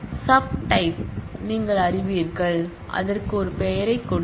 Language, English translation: Tamil, you know sub types of a type as and give it a name